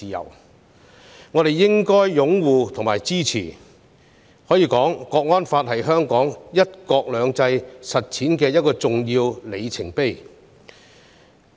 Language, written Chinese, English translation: Cantonese, 因此，我們應該擁護及支持《香港國安法》，它是香港"一國兩制"實踐的一個重要里程碑。, Hence we should support and uphold the National Security Law which marks an important milestone in the implementation of one country two systems in Hong Kong